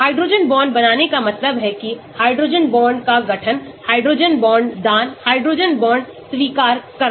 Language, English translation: Hindi, hydrogen bond forming that means, the hydrogen bond forming, hydrogen bond donating, hydrogen bond accepting